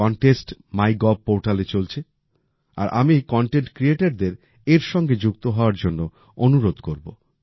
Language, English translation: Bengali, This contest is running on MyGov and I would urge content creators to join it